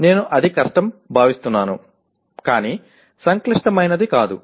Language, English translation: Telugu, I may or I would consider it is difficult but not complex